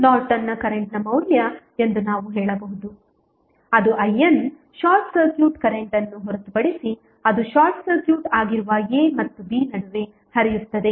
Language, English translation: Kannada, We can say that the value of Norton's current that is I N is nothing but the short circuit current across which is flowing between a and b when it is short circuited